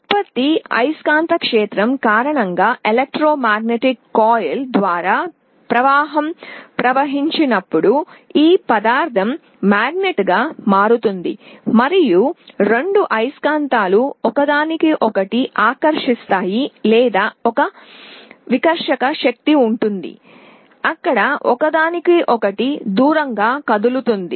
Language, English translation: Telugu, When current flows through the coil of the electromagnet due to the magnetic field produced this material becomes a magnet and the two magnets either attract each other or there will be a repulsive force there will move away from each other